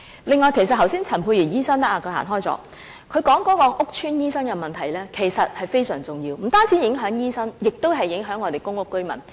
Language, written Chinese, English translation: Cantonese, 此外，其實剛才陳沛然醫生——他不在席——提及屋邨醫生的問題，這其實是非常重要的，不單影響醫生，也影響公屋居民。, In addition just now Dr Pierre CHAN―he is not in the Chamber now―also mentioned the problems related to private doctors in housing estates and this is actually very important . Not only doctors are affected but residents in public housing estates are also affected